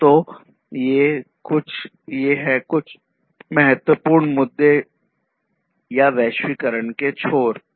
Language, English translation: Hindi, So, these are some of the important issues or the cornerstones behind globalization